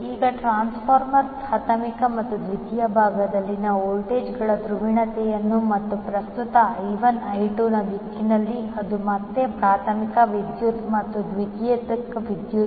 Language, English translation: Kannada, Now, the polarity of voltages that is on primary and secondary side of the transformer and the direction of current I1, I2 that is again primary current and the secondary current